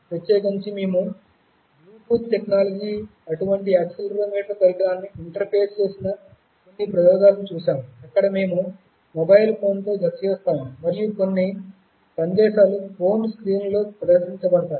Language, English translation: Telugu, In particular we looked at some experiments where you also interfaced such an accelerometer device with Bluetooth technology, where we paired with a mobile phone and some messages were displayed on the mobile phone screens